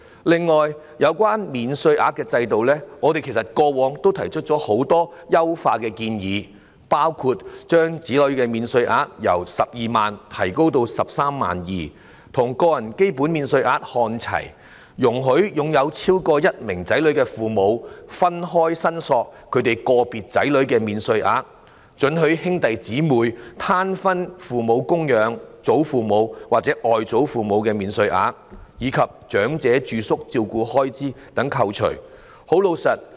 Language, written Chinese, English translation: Cantonese, 此外，有關免稅額的制度，我們過往曾提出很多優化的建議，包括將子女免稅額由12萬元提高至 132,000 元，與個人基本免稅額看齊；容許有超過一名子女的父母分開申索個別子女的免稅額；准許兄弟姐妹攤分供養父母、祖父母或外祖父母的免稅額，以及長者住宿照顧開支可以扣稅等。, Moreover regarding the tax allowance regime in the past we did raise a lot of suggestions on enhancement including raising the child allowance from 120,000 to 132,000 bringing it on par with the basic allowance for individuals; allowing parents having more than one child to separately claim the child allowance for individual children; allowing siblings to share the dependent parent or grandparent allowance and tax deduction for expenditure on residential care services for elderly people